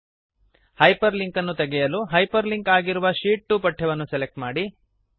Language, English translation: Kannada, To remove the hyperlink, first select the hyperlinked text Sheet 2